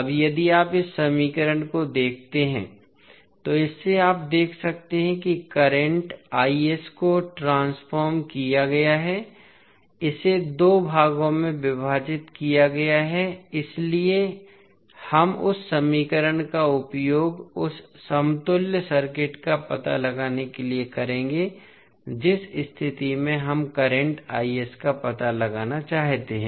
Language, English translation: Hindi, Now, if you see this equation so from this you can see that current i s is converted, is divided into two parts so we will use that equation to find out the equivalent circuit in case of we want to find out current i s